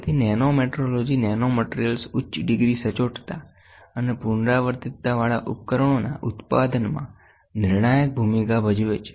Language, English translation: Gujarati, So, nanometrology has a crucial role in the production of nanomaterials and devices with a high degree of accuracy and repeatability